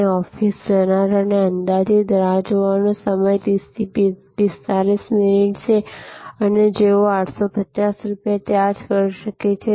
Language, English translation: Gujarati, So, it is easier to for an office goer and estimated weight avenue a write that may be 30 to 45 minutes and they may be charging 850 rupees